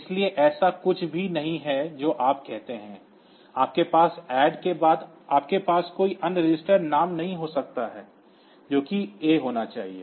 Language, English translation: Hindi, So, there is nothing you say you cannot have after ADD you cannot have any other register name it has to be A ok